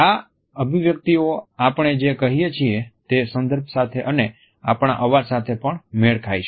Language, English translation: Gujarati, These expressions match the content of what we are saying and they also match the voice modulations